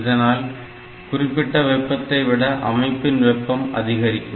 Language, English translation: Tamil, So, the heat of the set temperature of the system may be high